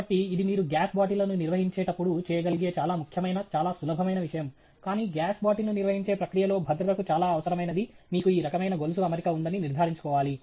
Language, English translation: Telugu, So, a very important, a very simple thing that you can do when you are handling gas bottles, but makes a great difference to the safety in the process of handling gas bottle, is to make sure that you have this kind of a chain arrangement, which then, you know, holds the gases bottle securely